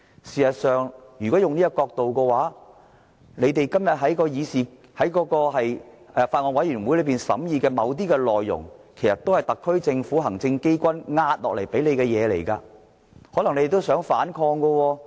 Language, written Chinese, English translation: Cantonese, 事實上，如果用這個角度來看，建制派今天在法案委員會審議的某些內容其實都是特區政府、行政機關壓下來的東西，可能他們也想反抗。, Considering the matter from this perspective some issues deliberated by the pro - establishment camp in the bills committees might be subject to pressures from the SAR Government or the executive authorities . Pro - establishment Members might actually like to raise objection